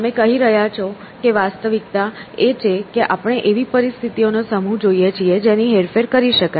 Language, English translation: Gujarati, So, you are saying that reality is as we see a collection of situations which we can manipulate